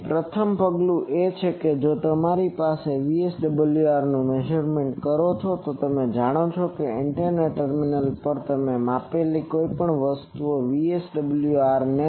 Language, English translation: Gujarati, So, first step is you measure VSWR that you know that you can connect a thing and VSWR at the antenna terminal you measure